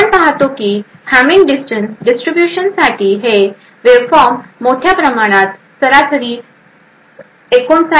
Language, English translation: Marathi, We see that in a large this waveform for this distribution of the Hamming distance is around having an average of 59